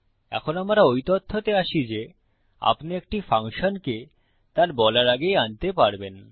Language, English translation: Bengali, Now well move on to the fact that, you can call a function before its been defined